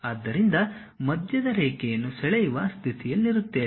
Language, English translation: Kannada, So, you will be in a position to draw a center line